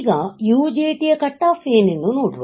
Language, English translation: Kannada, So, UJT cut off; what is cut off